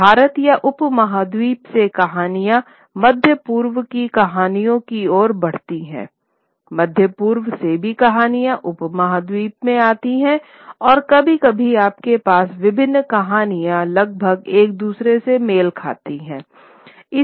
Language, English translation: Hindi, And as stories from India or the subcontinent move to the Middle East, stories from the Middle East also come into the subcontinent and sometimes you will have many stories from various legends almost matching each other